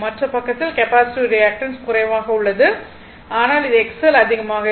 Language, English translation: Tamil, And in other side capacitance reactance is less, but this one will be X L will be more